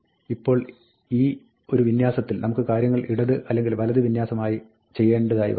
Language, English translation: Malayalam, Now, within this alignment, we might want to align things left or right